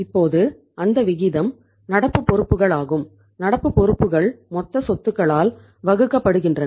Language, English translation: Tamil, And that ratio now is the current liabilities, current liabilities divided by the total assets